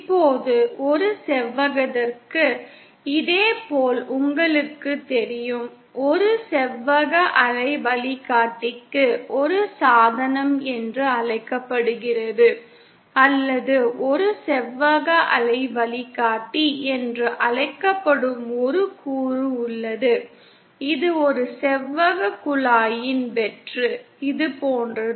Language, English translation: Tamil, Now for a rectangular, similarly you know, for a rectangular waveguide, there is a device called, or a component called a rectangular waveguide, which is just a hollow of a rectangular pipe, like this